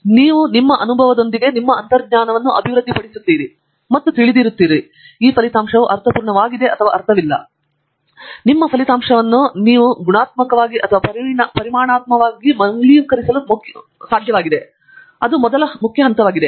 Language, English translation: Kannada, But, you do develop the intuition with experience and somewhere you know, that this result make sense or does not make sense which means, that when you get a result it is important to validate it qualitatively and quantitatively, that is the first important step